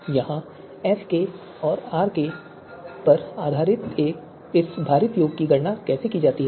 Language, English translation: Hindi, And how this weighted sum based on you know SK and RK is computed here